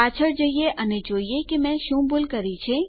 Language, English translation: Gujarati, Lets go back and see what Ive done wrong